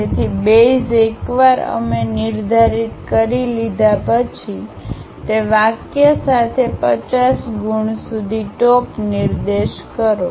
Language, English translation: Gujarati, So, base once we have defined, along that line up to 50 marks point the peak